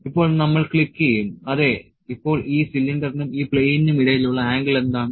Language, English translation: Malayalam, Now, will we click and yes now this between this cylinder and this plane what is the angle